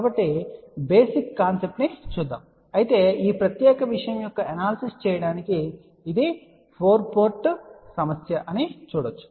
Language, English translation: Telugu, So, let us look at the basic concept , but however, to do the analysis of this particular thing you can see that this is a 4 port problem